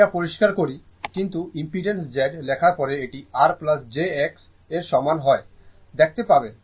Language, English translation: Bengali, But impedance, let me clear it, but impedance when you write z is equal to later we will see r plus jx, right